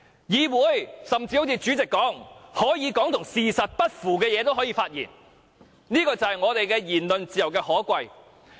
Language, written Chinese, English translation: Cantonese, 正如主席所說，議員所說的話可以不是事實，這就是言論自由的可貴。, As the President once said what Members said might not be the facts . This is the commendable part of the freedom of expression